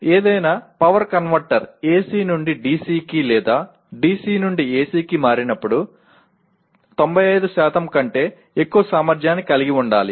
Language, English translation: Telugu, Any power converter that is when it converts from AC to DC or DC to AC should have efficiency above 95%